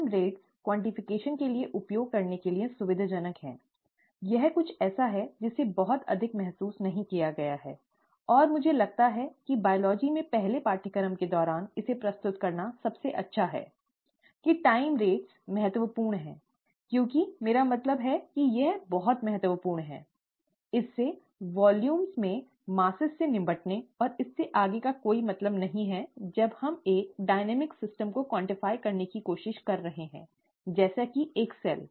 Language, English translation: Hindi, The time rates are convenient to use for quantification, this is something that has not been realized much, and I think it is best to present it during a first course in biology; that the time rates are rather important I mean are very important, it is, it does not make much sense to deal with just masses in volumes and so on and so forth, when we are trying to quantify a dynamic system, such as a cell